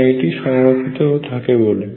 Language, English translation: Bengali, Because it is conserved